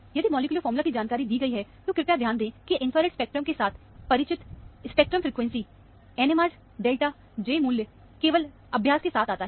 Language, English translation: Hindi, If the molecular formula information is given, please note that, familiarity with infrared spectrum is, spectral frequency, NMR delta, J value, comes only with practice